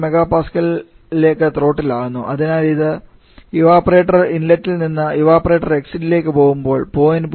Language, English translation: Malayalam, 15 mPa which is this so when it passes from the evaporator inlet to the evaporator exit there is the 1